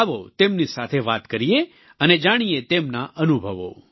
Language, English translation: Gujarati, Come, let's talk to them and learn about their experience